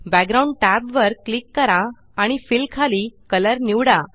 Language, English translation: Marathi, Click the Background tab and under Fill and select Color